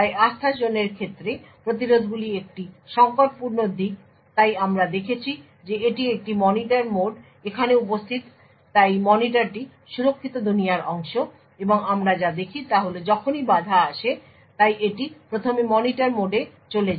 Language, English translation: Bengali, So interrupts are a critical aspect with respect to Trustzone so as we have seen that is a Monitor mode present over here so the monitor is part of the secure world and what we see is that whenever interrupt comes so it is first channeled to the Monitor mode